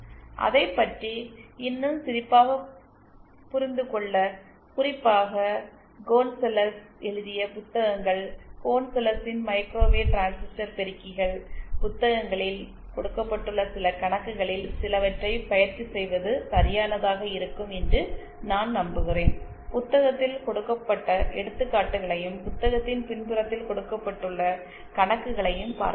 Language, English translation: Tamil, And to get an even better grasp on it, I believe it will be correct to practice some of these problems, especially those given the books by Gonzales, microwave transistor amplifiers by Gonzales, please see the examples given in the book and also the problems given at the backside of the book